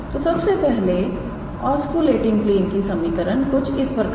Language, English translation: Hindi, So, first the equation of osculating plane is